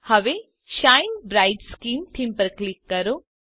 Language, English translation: Gujarati, The Shine Bright Skin theme page appears